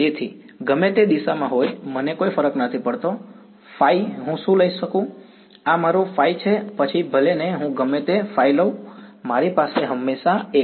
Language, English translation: Gujarati, So, no matter what direction, I no matter what phi I take right, this is my phi no matter what phi I take, I always have 1 right